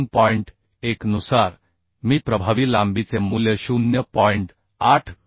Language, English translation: Marathi, 1 I can find out the value of effective length as 0